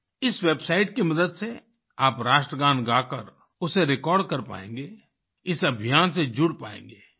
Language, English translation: Hindi, With the help of this website, you can render the National Anthem and record it, thereby getting connected with the campaign